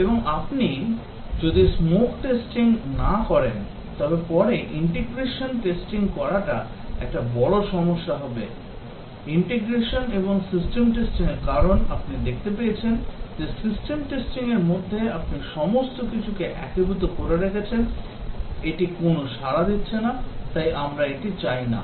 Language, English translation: Bengali, And if you do not do a smoke testing later integration will be a big problem, integration and system testing because you find that you have integrated everything in system testing the system is just frozen it is not responding to anything, so we do not want that